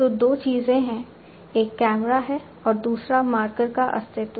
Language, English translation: Hindi, So, there are two things one is the camera and the existence of marker